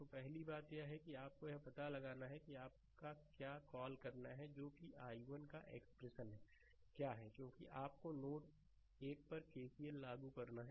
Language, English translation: Hindi, So, first thing is that you have to find out that your what to call that what is the what is the expression of i 1 because you have to apply KCL at node 1